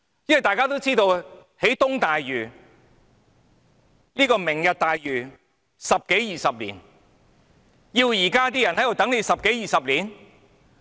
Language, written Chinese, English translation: Cantonese, 因為大家都知道，這項"明日大嶼願景"計劃需時十多二十年，難道要現在的人等十多二十年？, As we all know it will take one to two decades to implement the Vision so do people nowadays have to wait one to two decades?